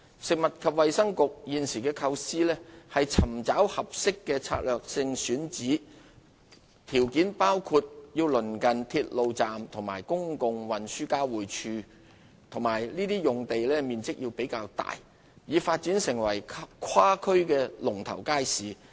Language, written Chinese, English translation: Cantonese, 食物及衞生局現時的構思是尋找合適的策略性選址，條件包括鄰近鐵路站和公共運輸交匯處，以及面積較大的用地，用以發展成跨區的"龍頭街市"。, At present the Food and Health Bureau is planning to identify suitable strategic locations say near to railway stations and public transport interchanges and have extensive space for the development of cross - district leading markets